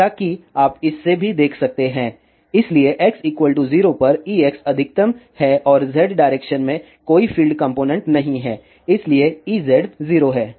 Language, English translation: Hindi, As you can see from this also so at x is equal to 0 E x is maximum and there is no filed component in Z direction, so E z is 0